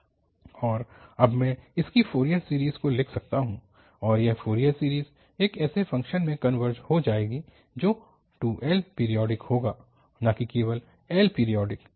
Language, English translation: Hindi, And now I can write down its Fourier series and that Fourier series will converge to a function which will be 2 L periodic, not just the L periodic